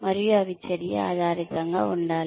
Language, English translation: Telugu, And, they should be action oriented